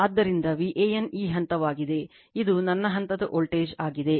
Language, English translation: Kannada, So, V an is this point, this is my phase voltage